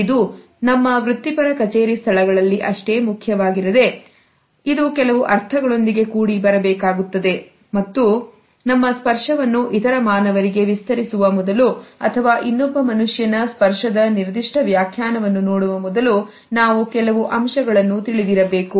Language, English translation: Kannada, It is equally important in our professional settings but it should come with certain moderators and we should be aware of certain filters before either extending our touch to other human beings or before looking at a particular interpretation of the touch of another human being